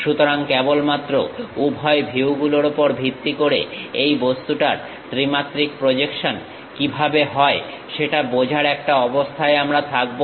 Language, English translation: Bengali, So, based on both the views only, we will be in a position to understand how the three dimensional projection of this object